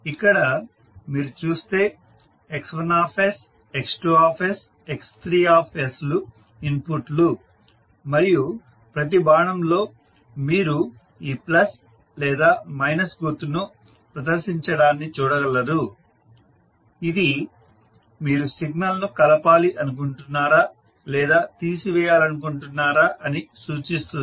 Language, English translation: Telugu, So here if you see the inputs are X1, X2 and X3 and in each and every arrow you will see this plus or minus sign is presented which indicates whether you want to summing up or you want to subtract the signal